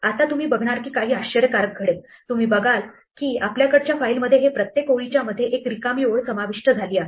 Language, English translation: Marathi, Now, you will see something interesting happening here, you will see that we have now a blank line between every line our file